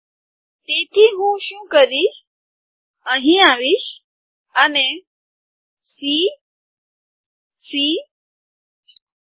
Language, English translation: Gujarati, So what I do is, I come here, and C , C, R